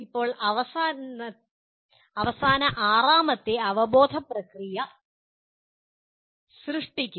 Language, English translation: Malayalam, Now the final sixth cognitive process is create